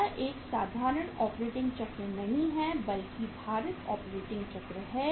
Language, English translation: Hindi, It is not a simple operating cycle but the weighted operating cycle